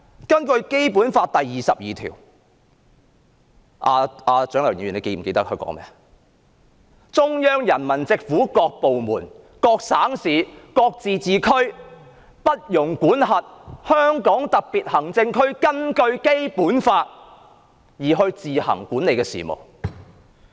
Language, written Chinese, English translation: Cantonese, 根據《基本法》第二十二條——蔣麗芸議員是否記得該條文訂明甚麼？——"中央人民政府所屬各部門、各省、自治區、直轄市均不得干預香港特別行政區根據本法自行管理的事務"。, Pursuant to Article 22 of the Basic Law―does Dr CHIANG Lai - wan remember what this Article provides for?―No department of the Central Peoples Government and no province autonomous region or municipality directly under the Central Government may interfere in the affairs which the Hong Kong Special Administrative Region administers on its own in accordance with this Law